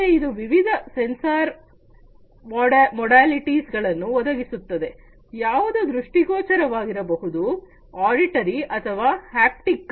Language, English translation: Kannada, So, it provides multiple sensor modalities, which can be visual, auditory or, haptic